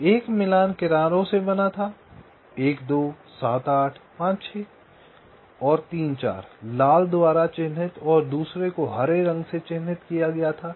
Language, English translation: Hindi, so one matching was consisting of the edges one, two, seven, eight, ah, five, six and three, four, marked by red, and the other one was marked by green